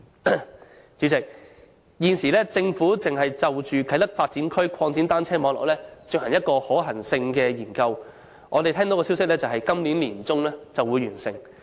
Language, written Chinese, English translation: Cantonese, 代理主席，政府現正就啟德發展區擴展單車徑網絡進行一項可行性研究，我們聽到的消息是今年年中將會完成。, Deputy President the Government is now conducting a feasibility study on expanding the cycle track network in the Kai Tai Development Area and we have heard that it would be completed in the middle of this year